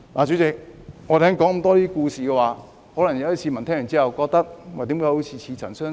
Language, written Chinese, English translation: Cantonese, 主席，我剛才說了很多故事，市民聽到可能會覺得怎麼好像似曾相識？, Chairman I told a lot of stories just now and members of the public who have listened may find these stories somehow familiar to them